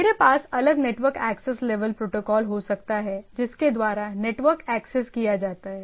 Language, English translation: Hindi, Now down the line I can have different network access level protocol by which the network is accessed